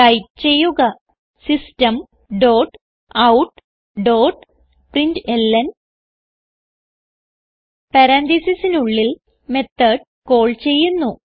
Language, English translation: Malayalam, So type System dot out dot println() Within parenthesis we will call the method